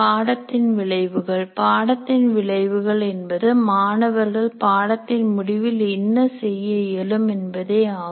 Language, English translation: Tamil, Course outcomes present what the student should be able to do at the end of the course